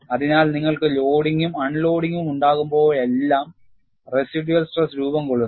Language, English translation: Malayalam, So, when you unload, you have formation of residual stresses